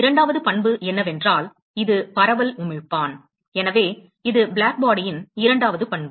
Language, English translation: Tamil, Second property is that, it is the diffuse emitter, so, that is the second property of Blackbody